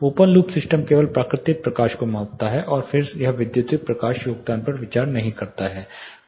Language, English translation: Hindi, open loop system measures only the natural light and then it does not consider the electric light contribution